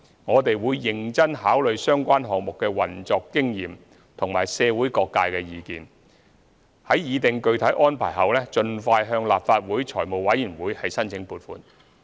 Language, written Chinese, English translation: Cantonese, 我們會認真考慮相關項目的運作經驗及社會各界意見，擬定具體安排後盡快向立法會財務委員會申請撥款。, We will give serious consideration to the operational experience gained in the projects and the views of the community before drawing up detailed arrangements for seeking funding approval from the Finance Committee of the Legislative Council expeditiously